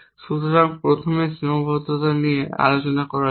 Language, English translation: Bengali, So, let us first discuss the constraint